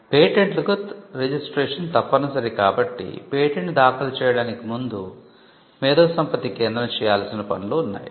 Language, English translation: Telugu, Patents require registration and for filing patents there is a series of steps that the IP centre has to involve in before a patent can be filed